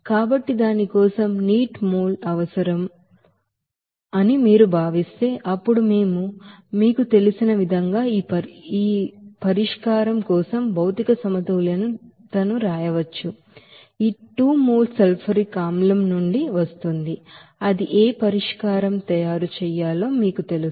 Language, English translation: Telugu, So for that if you consider that n mole of water is required for that, then we can write that you know, material balance for this solution as for this 2 mole of sulfuric acid that will come from that you know that whatever solution to be made up that would be 30%